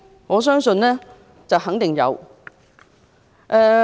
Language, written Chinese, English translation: Cantonese, 我相信肯定有。, I believe she must have